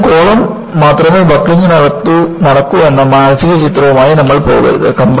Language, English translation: Malayalam, So, you should not go with the mental picture that, only columns will be buckled